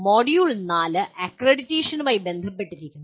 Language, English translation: Malayalam, Module 4 is related to “accreditation”